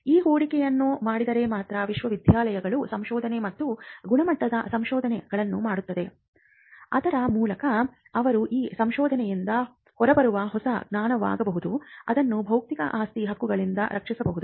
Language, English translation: Kannada, Only if that investment is made will universities be doing research and quality research of by which they could be new knowledge that comes out of that research, which could be protected by intellectual property rights